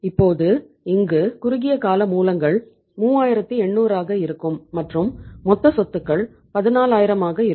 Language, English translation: Tamil, So it means now the short term sources will become how much 3800 and total assets are 14000